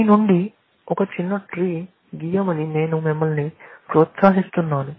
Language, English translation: Telugu, I will encourage you to draw a small tree out of it